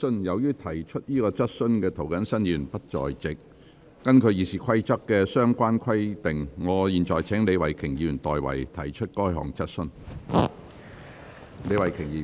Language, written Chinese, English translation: Cantonese, 由於提出這項質詢的涂謹申議員不在席，根據《議事規則》的相關規定，我現在請李慧琼議員提出該質詢。, Since Mr James TO the Member asking this question is not present according to the relevant provisions in the Rules of Procedure I now call upon Ms Starry LEE to ask this question